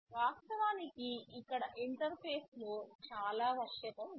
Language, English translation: Telugu, And of course, here there is lot of flexibility in the interface